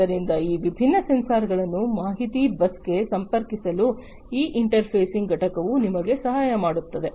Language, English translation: Kannada, So, this interfacing unit will help you to connect these different sensors to the information bus